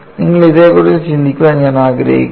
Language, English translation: Malayalam, I want to you think about it